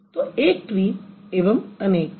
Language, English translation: Hindi, So, one single tree and then many plural trees